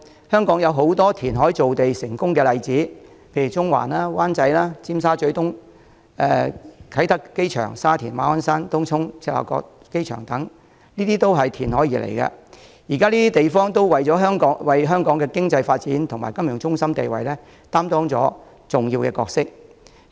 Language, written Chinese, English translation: Cantonese, 香港有很多填海造地的成功例子，例如中環、灣仔、尖沙咀東、啟德機場、沙田、馬鞍山、東涌、赤鱲角機場等都是填海而來，現時這些地方都為香港的經濟發展和金融中心地位擔當重要的角色。, Hong Kong has many successful examples of reclamation for example Central Wan Chai Tsim Sha Tsui East Kai Tak Airport Sha Tin Ma On Shan Tung Chung and Chek Lap Kok Airport are all built on reclaimed land . These areas play an important role in respect of Hong Kongs economic development and its status as a financial centre